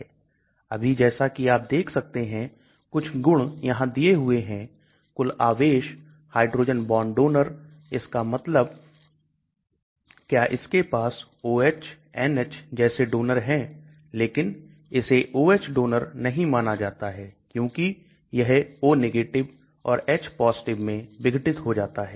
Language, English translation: Hindi, Now as you can see some properties are given net charge, hydrogen bond donors that means does it have any donors like OH NH, but this OH is not considered as a donor because generally it dissociates into O and H +